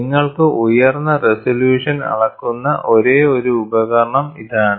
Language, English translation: Malayalam, And this is the only device which gives you such a high resolution measurement